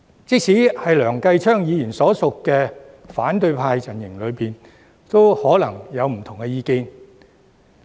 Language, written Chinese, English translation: Cantonese, 即使在梁繼昌議員所屬的反對派陣營中，也可能有不同的意見。, There are probably divergent views even within the opposition camp to which Mr Kenneth LEUNG belongs